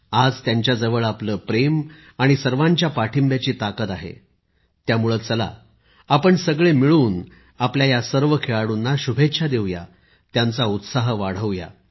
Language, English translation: Marathi, Today, they possess the strength of your love and support that's why, come…let us together extend our good wishes to all of them; encourage them